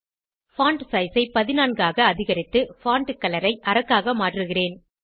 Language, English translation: Tamil, I will increase font size to 14 and change the font color to maroon